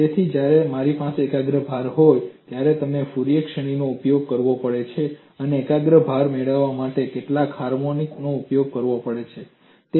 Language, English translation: Gujarati, So, when I have a concentrated load, I have to use a Fourier series and invoke several harmonics to obtain a concentrated load